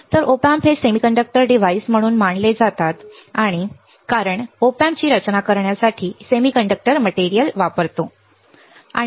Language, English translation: Marathi, So, as Op Amps are considered as semiconductor devices because we are using semiconductor material to design the Op Amp